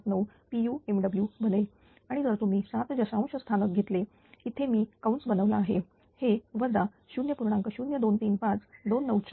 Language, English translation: Marathi, 00979 per unit megawatt and if you take up to 7 decimal places a bracket I made it it is minus 0